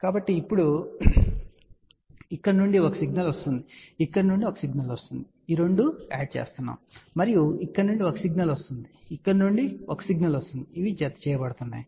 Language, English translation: Telugu, So, now, one signal is coming from here one signal is coming from here which are getting added up and one signal coming from here one signal coming from here they are getting added up